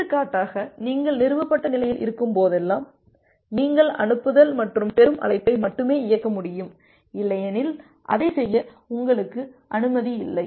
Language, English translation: Tamil, For example, whenever you are at the established state then only you are able to execute the send and a receive call, otherwise you are not allowed to do that